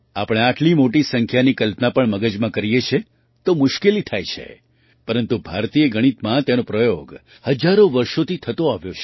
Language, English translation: Gujarati, Even if we imagine such a large number in the mind, it is difficult, but, in Indian mathematics, they have been used for thousands of years